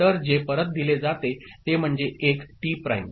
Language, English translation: Marathi, So, what is fed back is 1 T prime